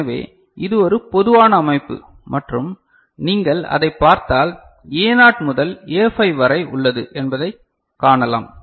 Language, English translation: Tamil, So, this is one typical organization and if you look at it you can see there are A naught to A5